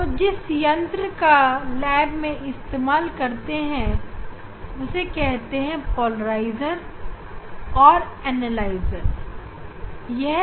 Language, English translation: Hindi, so, device for that is we have very common device in laboratory we use that is called polarizer and analyzers